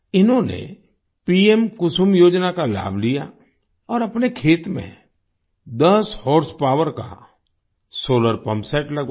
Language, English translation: Hindi, He took the benefit of 'PM Kusum Yojana' and got a solar pumpset of ten horsepower installed in his farm